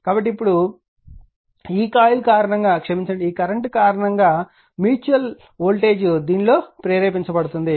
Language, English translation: Telugu, So, now, this one now because of this coil the sorry because of this current a mutual voltage will be induce in this